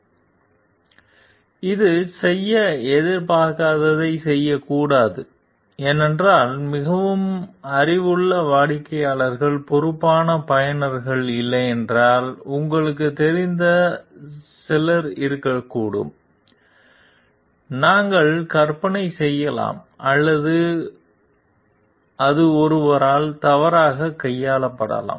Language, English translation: Tamil, So, it should not do what it is not expected to do because there could be some you know like if there are not very knowledgeable customers, responsible users we can imagine like or maybe it is mishandled by someone